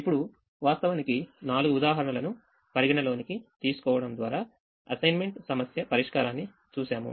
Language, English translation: Telugu, now we have seen the assignment problem solution by actually considering four examples